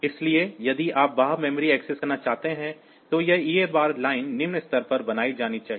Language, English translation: Hindi, So, if you want to access external memory then this a bar line should be made low